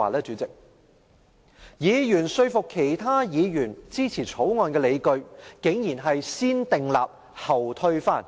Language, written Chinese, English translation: Cantonese, 這些議員賴以說服其他議員支持《條例草案》的理據，竟然是"先訂立後推翻"。, These Members had the effrontery to persuade other Members to support the Bill on the grounds that it can be annulled after being enacted